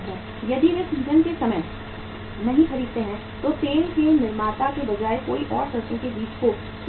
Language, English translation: Hindi, If they do not buy at the time of season then rather than the manufacturer of the oil somebody else will store the mustard seed